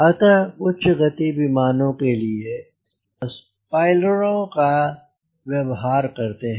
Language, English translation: Hindi, so for high speed aeroplane you see, people use spoilers